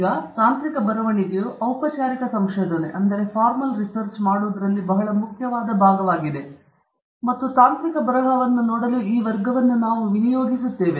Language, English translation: Kannada, Now, technical writing is a very important part of doing formal research and that’s the reason why we are going to spend this class looking at technical writing